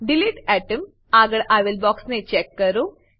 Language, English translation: Gujarati, Check the box against delete atom